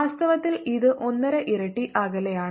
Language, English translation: Malayalam, in fact it's one and a half times farther